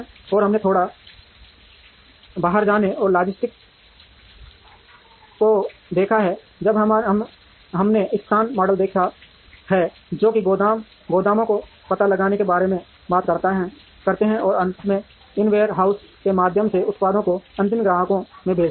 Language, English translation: Hindi, And we have seen a little bit of outbound logistics, when we have seen location models that talk about how to locate warehouses, and finally send the products through these ware houses into the final customers